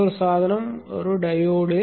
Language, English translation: Tamil, Another device is a diode